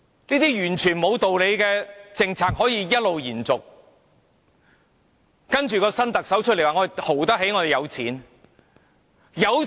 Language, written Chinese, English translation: Cantonese, 這些完全不合理的政策一直延續，接着新特首說我們"豪"得起，我們有錢。, These unreasonable policies are still being implemented . Then the new Chief Executive says we are rich and we have money